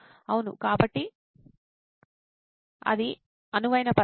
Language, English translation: Telugu, Yeah so that is the ideal situation